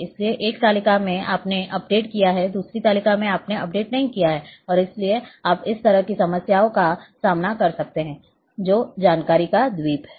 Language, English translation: Hindi, So, in one table you have updated in another table you have not updated and therefore, you may encounter this kind of problem which is island of information